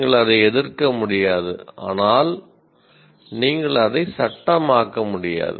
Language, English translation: Tamil, You cannot object to that, but you cannot legislate that either